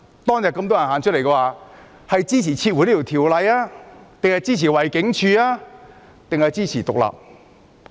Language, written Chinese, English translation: Cantonese, 當天遊行人士要求撤回法案、包圍警署，還是支持香港獨立？, What were the demands of the participants on that day withdrawal of the Bill besieging the Police Headquarters or supporting Hong Kong independence?